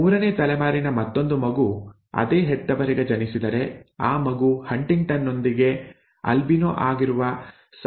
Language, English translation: Kannada, If another child of the third generation is born to the same parents, what is the probability of that child being an albino with HuntingtonÕs